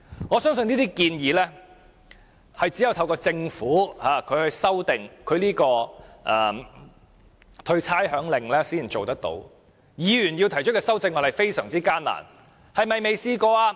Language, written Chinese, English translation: Cantonese, 我相信這些方案只能透過政府修訂豁免差餉令才能做到，而議員提出的修正案卻極難獲得通過。, I believe that these options can only be implemented by the Government through amending the rating exemption order but amendments proposed by Members can hardly be carried